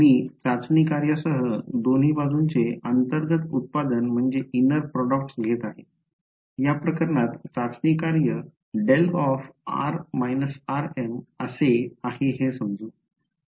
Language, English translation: Marathi, I am multi taking the inner product of both sides with the testing function, the testing function is in this case delta of r minus r m let us say